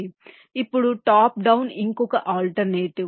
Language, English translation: Telugu, now top down is the other alternative